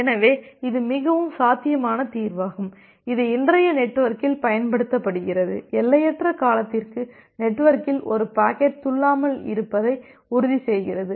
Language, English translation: Tamil, So, this is a very feasible solution which is in that used in today’s network, to ensure that a packet is not hopping in the network for infinite duration